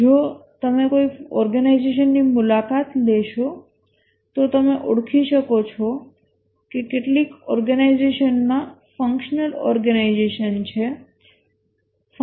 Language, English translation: Gujarati, If you visit a organization, you can identify that some organizations have functional organization